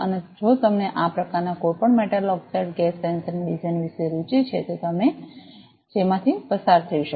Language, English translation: Gujarati, And if you are interested about the designs of any of these types of metal oxide gas sensor this is the one that you could go through